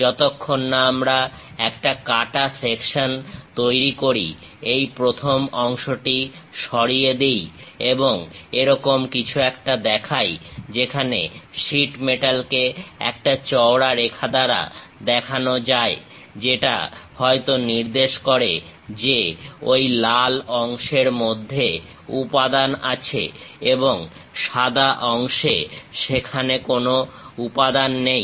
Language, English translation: Bengali, Unless we make a cut section remove this first part and show something like, where sheet metal can be represented by a thick line; that indicates that material might be present within that red portion and the white portion, there is no material